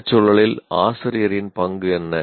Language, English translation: Tamil, Now, what is the role of a teacher in this context